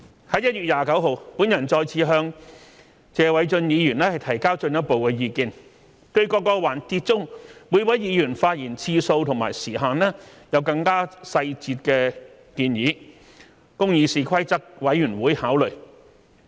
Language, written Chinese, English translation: Cantonese, 在1月29日，我再次向謝偉俊議員提交進一步的意見，對各環節中每位議員發言次數及時限有更細節的建議，供議事規則委員會考慮。, On 29 January I submitted my further opinion to Mr Paul TSE with a more detailed proposal for consideration of CRoP on the number of speeches and time limit per speech of each Member in various sessions of debate